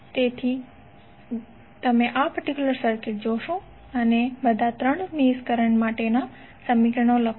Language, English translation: Gujarati, So if you see this particular circuit and you write the equations for all 3 mesh currents what you can write